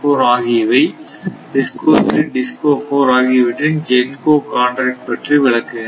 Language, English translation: Tamil, And, similarly this DISCO 2 it demands from GENCO 4 0